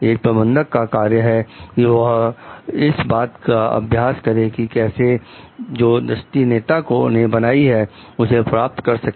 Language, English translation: Hindi, A managers job is to practice the means for achieving the vision created by the leader